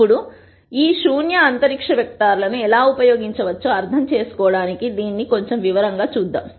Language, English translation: Telugu, Now, let us look at this in little more detail to understand how we can use this null space vectors